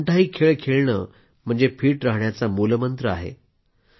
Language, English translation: Marathi, Sports & games is the key to keeping fit